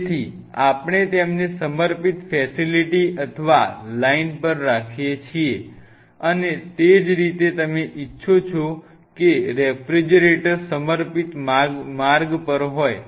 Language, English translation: Gujarati, So, we have to have them on dedicated facility or dedicated line, and same way you want the refrigerator to be on the dedicated track